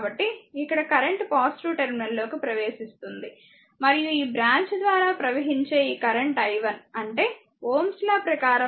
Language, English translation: Telugu, So, here current entering the positive terminal and this current flowing through this branch is i 1 ; that means, according to ohms law it will be 5 into i 1